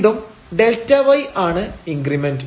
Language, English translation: Malayalam, So, again this delta y was the increment